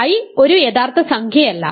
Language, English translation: Malayalam, So, a real number cannot be equal to i